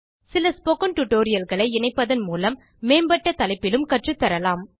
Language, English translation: Tamil, By combining spoken tutorials, advanced topics can also be taught